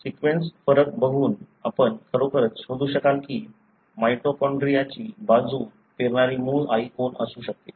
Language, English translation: Marathi, By looking at the sequence difference, you will be able to really trace who could have been the original mother who seeded the mitochondria